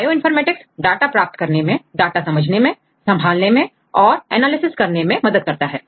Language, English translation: Hindi, So, Bioinformatics helps to acquire the data, to manage the data and to analyze the data and to understand the data right